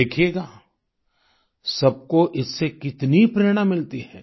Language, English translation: Hindi, You will see how this inspires everyone